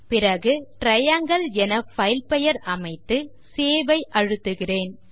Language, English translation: Tamil, I will type the file name as Triangle and click on Save button